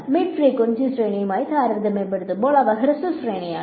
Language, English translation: Malayalam, So, they are short range relative to at least the mid frequency range